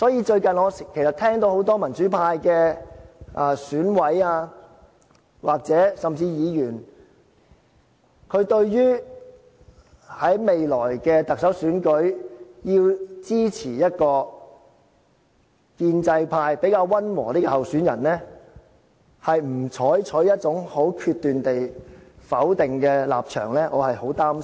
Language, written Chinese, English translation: Cantonese, 最近我聽到很多民主派選委，甚至議員，對於在未來特首選舉中要支持一個建制派比較溫和的候選人，沒有採取一種很決斷的否定立場，我是很擔心。, Recently I have heard that many democratic - camp members of the Election Committee and even democratic - camp Members do not adopt a downright negative attitude towards the necessity of supporting a pro - establishment candidate with a softer stance in the upcoming Chief Executive Election . This worries me a great deal